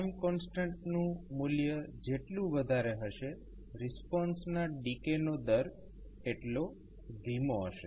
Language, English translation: Gujarati, Larger the time constant slower would be the rate of decay of response